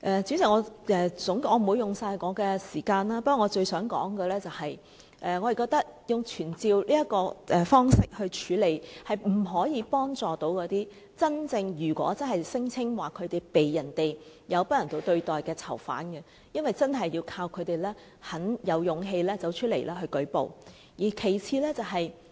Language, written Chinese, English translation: Cantonese, 主席，我不會花掉我全部的發言時間，不過我最想說的是，我們覺得以傳召方式來處理這個問題，並不能真正幫助那些聲稱遭不人道對待的囚犯，因為真的要靠他們自己有勇氣走出來舉報。, President I will not use up all my speaking time . However the point I would most like to mention is that summoning officials is not the best way to resolve the problem and truly help those prisoners who alleged that they were subject to inhuman treatment . It is because at the end of the day they must have the courage to go and report the cases